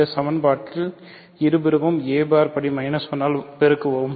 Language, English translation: Tamil, So, let us multiply this equation by a bar inverse on both sides